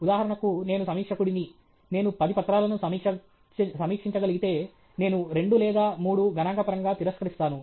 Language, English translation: Telugu, For example, I am a reviewer; if I get to review ten papers, I reject 2 or 3 statistically